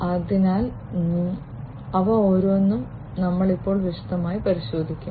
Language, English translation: Malayalam, So, we will look at each of these in detail now